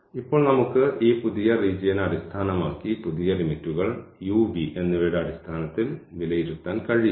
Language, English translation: Malayalam, So, now we can evaluate the new limits based on this new region in terms of u and v